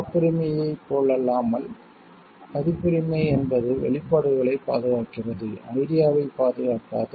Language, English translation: Tamil, Unlike the case with patents copyright protects the expressions and not the ideas